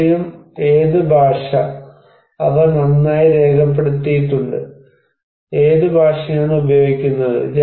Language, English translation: Malayalam, And language; What language, are they well documented, what language is used